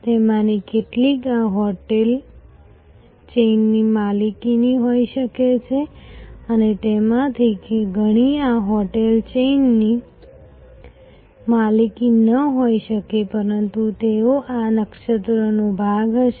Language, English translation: Gujarati, Some of them may be owned by this hotel chain and many of them may not be owned by this hotel chain, but they will be part of this constellation